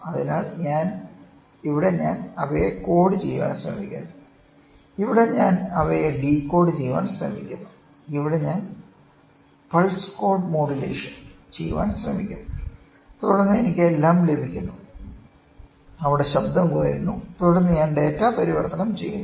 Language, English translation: Malayalam, So, here I try to code them and here I try to decode them, here I try to do pulse code modulation and then I receive everything where the noise is reduced and then I convert the data